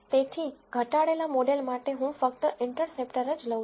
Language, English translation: Gujarati, So, for the reduced model I take only the interceptor